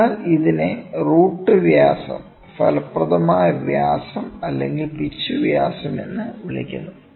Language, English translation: Malayalam, So, this is called the roots diameter, effective diameter or the pitch diameter